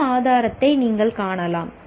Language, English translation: Tamil, What evidence can you find